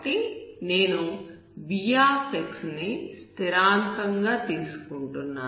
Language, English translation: Telugu, So I have to choose my v as a constant, so you can take it as 1